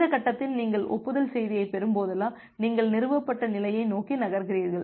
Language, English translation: Tamil, At this stage, whenever you are getting an acknowledgement message, you are moving towards the established state